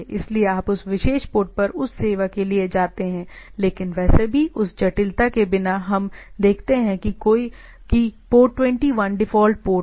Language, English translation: Hindi, So, that it says that you go for that service at that particular port, but anyway without going to that complicacies we see that its port 21 is the default port